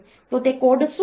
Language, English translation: Gujarati, So, that what is the code